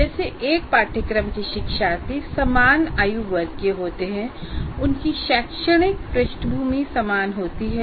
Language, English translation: Hindi, First of all, all learners of a course belong to the same age group and have similar academic background